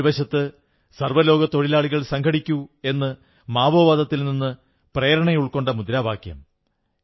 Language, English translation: Malayalam, He used to remark, on the one hand, inspired by Maoism, 'Workers of the world unite', on the other he would say, workers, come, unite the world